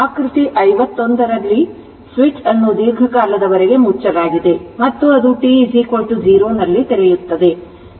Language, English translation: Kannada, In figure 51, the switch has been closed right for a long time and it open at t is equal to 0